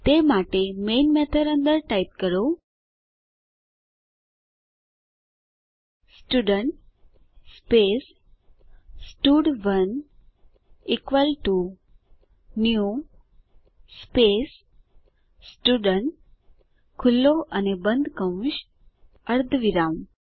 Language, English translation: Gujarati, For that, inside the main method, type Student space stud1 equal to new space Student opening and closing brackets, semicolon